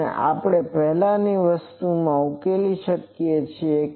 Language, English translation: Gujarati, And so, we can now solve this from the earlier thing